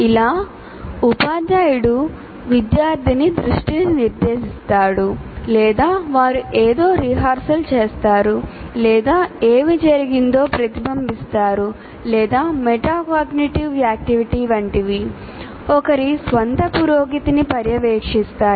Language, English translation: Telugu, But there could be internal mental events like the teacher will directly attention of the student or they make them rehearse something or reflect on what has happened or like metacognitive activity monitoring one's own progress